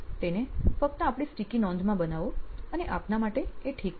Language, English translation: Gujarati, Just make them in your sticky note and you should be fine